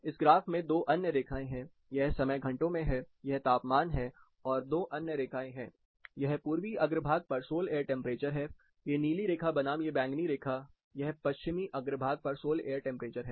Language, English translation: Hindi, There are two other lines in this graph, this is time in hours, this is temperature and there are two other lines, this is sol air temperature on the eastern façade, this blue line versus this purple line, this is a sol air temperature on the western façade